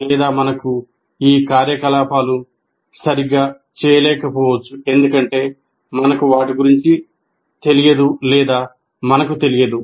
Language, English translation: Telugu, Or we may not be able to perform these activities properly because we are not aware of it and we do not know what is earlier